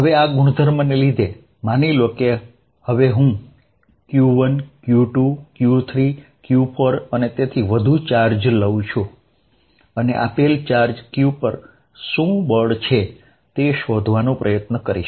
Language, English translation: Gujarati, Now because of this nature; suppose I take now charge Q1, Q2, Q3, Q4 and so on, and try to find what is the force on a given charge q